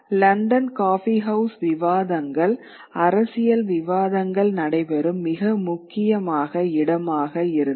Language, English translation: Tamil, And the coffee houses, the London coffee houses become a very important place in which debates, political debates take place